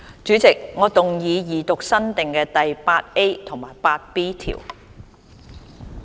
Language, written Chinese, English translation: Cantonese, 主席，我動議二讀新訂的第 8A 及 8B 條。, Chairman I move the Second Reading of new clauses 8A and 8B